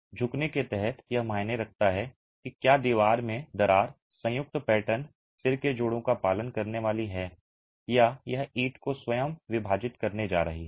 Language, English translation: Hindi, Under bending it matters whether the crack in the wall is going to follow the joint pattern, the head joints, or is it going to split the brick itself